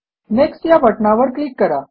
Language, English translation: Marathi, Click on Next button